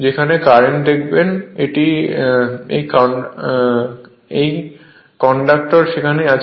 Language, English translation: Bengali, Wherever you see the current this conductor are there